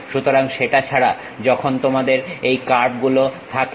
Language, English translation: Bengali, So, other than that, when you have this curves